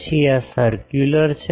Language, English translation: Gujarati, Then this is circular